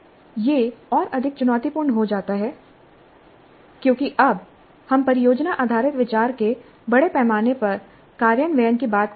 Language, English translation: Hindi, And this becomes more challenging because now we are talking of a large scale implementation of product based idea